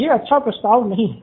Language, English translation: Hindi, Not a good proposition